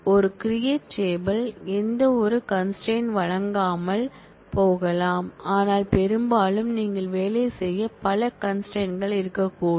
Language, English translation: Tamil, It is possible that a create table may not provide any constraint, but often you will have a number of constraints to work with